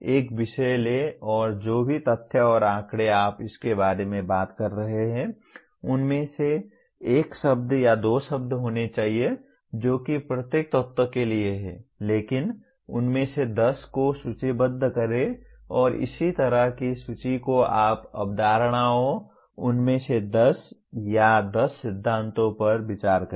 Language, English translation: Hindi, Take a subject and whatever facts and figures that you are talking about it needs to be one word or two words that is all for each element but list 10 of them and similarly list what you consider concepts, 10 of them or 10 principles